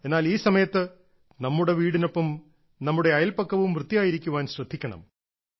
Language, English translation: Malayalam, But during this time we have to take care that our neighbourhood along with our house should also be clean